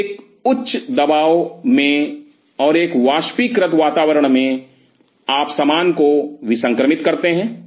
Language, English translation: Hindi, So, in a high pressure and in a vaporized environment you sterilize the stuff